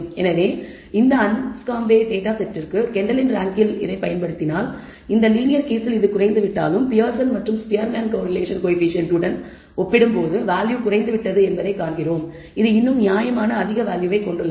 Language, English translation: Tamil, So, again if we apply it to Kendall’s rank to this Anscombe data set we find that although it has decreased for this linear case the value has decreased as compared to the Pearson and Spearman correlation coefficient, it still has a reasonably high value